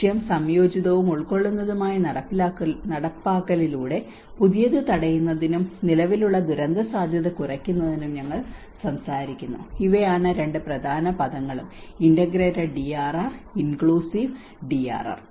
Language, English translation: Malayalam, And the goal, we talk about the prevent new and reduce existing disaster risk through the implementation of integrated and inclusive these are the two important words and integrated DRR and inclusive DRR